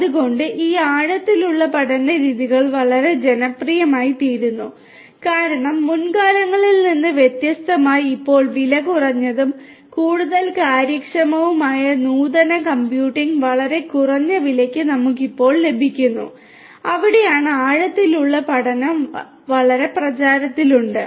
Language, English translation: Malayalam, So, these deep learning methods are getting very popular due to the fact that nowadays we have cheap computing power unlike in the previous times, cheap and much more efficient advanced computing at a very reduced price we are able to have at present and that is where deep learning is getting very popular